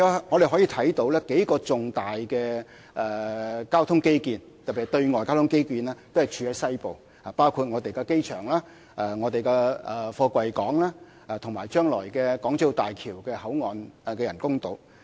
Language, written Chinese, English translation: Cantonese, 我們可以看到數項重大交通基建，特別是對外交通基建，都是處於西部，包括機場、貨櫃港，以及將來的港珠澳大橋香港口岸人工島。, We can see that a few major infrastructure projects especially those for external transport are located in the western part including the airport container port and the future artificial island for the Hong Kong Boundary Crossing Facilities of the Hong Kong - Zhuhai - Macao Bridge